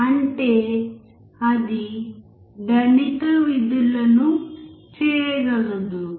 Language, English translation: Telugu, That means, it can perform mathematical functions